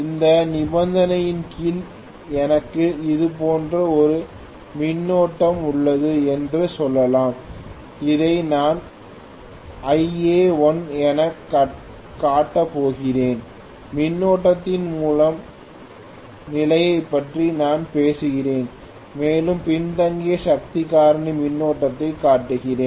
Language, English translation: Tamil, Under this condition let us say I have a current like this I am going to show this as Ia1, I am talking about the first condition of the current and I am showing a lagging power factor current okay